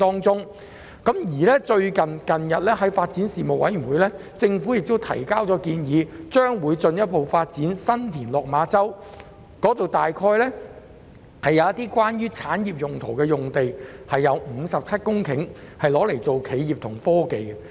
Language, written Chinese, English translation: Cantonese, 最近，政府向發展事務委員會提交建議，表示會進一步發展新田/落馬洲，當中會有產業用地，包括57公頃企業及科技用地。, Recently the Government has introduced a proposal to the Panel on Development proposing that San TinLok Ma Chau will be further developed to provide sites for different industries including a 57 - hectare enterprise and technology site